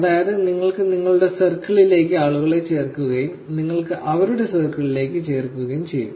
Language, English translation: Malayalam, So, you actually add people into your circle and you get added to their circle